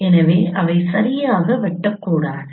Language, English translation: Tamil, So they may not exactly intersect